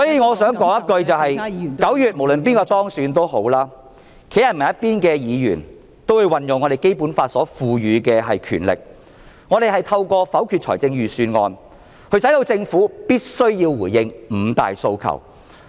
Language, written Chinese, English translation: Cantonese, 我想說的是，無論哪位在9月當選也好，站在人民一方的議員也會運用《基本法》賦予的權力，透過否決財政預算案，迫使政府必須回應"五大訴求"......, What I want to say is no matter who is elected in September Members standing with the people will make use of the power conferred by the Basic Law . They will vote down the budget to force the Government to respond to the Five demands